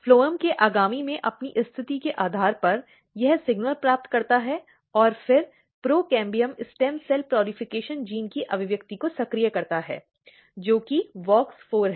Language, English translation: Hindi, And when it receives the signal, so basically based on its position next to the phloem, it receives the signal and then activate the expression of procambium stem cell proliferation gene, which is WOX4